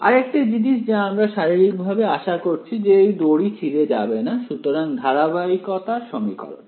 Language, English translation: Bengali, The other thing is that we physically expect that the string does not break, so that is equation of continuity right